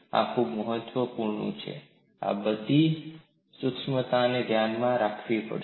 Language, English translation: Gujarati, This is very important, all these certainties we will have to keep in mind